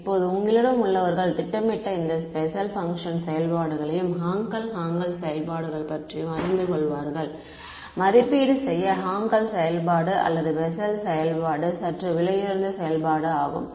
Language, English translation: Tamil, Now those of you who have programmed these Bessel functions Hankel Hankel functions will know; that to evaluate Hankel function or a Bessel function is slightly expensive operation